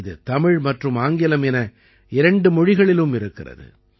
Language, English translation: Tamil, This is in both Tamil and English languages